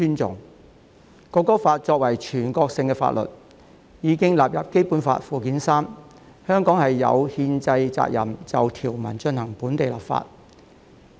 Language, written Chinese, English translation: Cantonese, 《中華人民共和國國歌法》作為全國性法律，已經列入《基本法》附件三，香港有憲制責任就條文進行本地立法。, The Law of the Peoples Republic of China on the National Anthem being a national law has been added to Annex III of the Basic Law . Hong Kong has a constitutional duty to enact local legislation in respect of the provisions